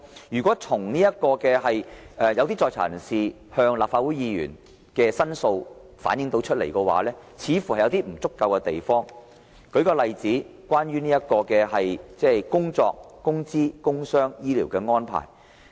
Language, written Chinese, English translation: Cantonese, 如果從一些在囚人士向立法會議員的申訴看來，似乎有不足之處，舉例來說，關於工作、工資、工傷和醫療的安排。, Judging from the complaints made by inmates to Legislative Council Members there are apparently inadequacies regarding arrangements on work salary and medical care for instance